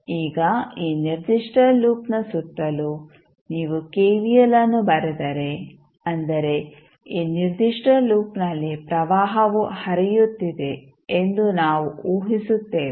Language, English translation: Kannada, Now, if you write kvl around this particular loop where we are assuming that current I is flowing in this particular loop